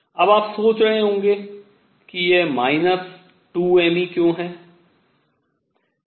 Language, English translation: Hindi, Now, you may wonder why this minus 2 m E